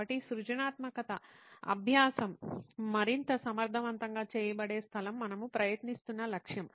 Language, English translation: Telugu, So that is the space where creativity learning is more effectively done is the target we are trying to